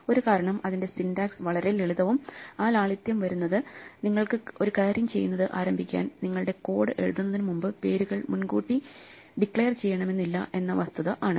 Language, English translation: Malayalam, One reason is that itÕs syntax is very simple and part of the simplicity comes from the fact that you do not have to declare names in advance, so you do not have to start doing a lot of things before you write your code